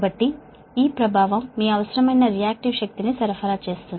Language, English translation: Telugu, so the is to supply the your requisite reactive power